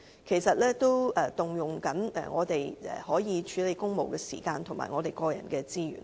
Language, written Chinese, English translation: Cantonese, 其實，這亦佔用我們處理公務的時間及個人資源。, In fact these matters have occupied the time and personal resources which we should have devoted to handling official business